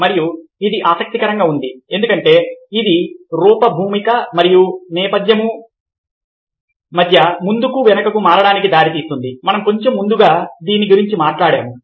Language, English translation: Telugu, this is interesting because you see that this leads to switching back and fore between fore, ground and background we talked about a little earlier